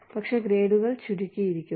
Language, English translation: Malayalam, But, the grades have been compressed